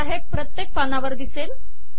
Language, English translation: Marathi, Now this is going to come on every page